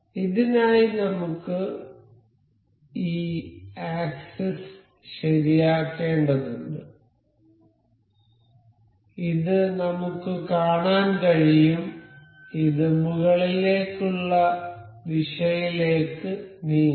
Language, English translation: Malayalam, So, for this we need to fix this axis this we can see this, this can move in upward direction